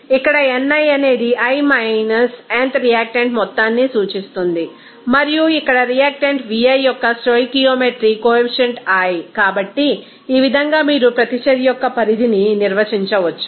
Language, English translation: Telugu, Here ni denotes the amount of i – th reactant and here nui is the stoichiometry coefficient of the i th reactant So, in this way you can define that extent of reaction